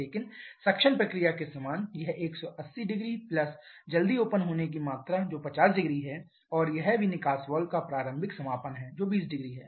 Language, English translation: Hindi, But similar to the suction process it will cover 1800 plus the amount of early opening which is 500 and also this is the early closing of the exhaust valve which is 200